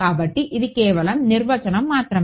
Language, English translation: Telugu, So, this is just definition all right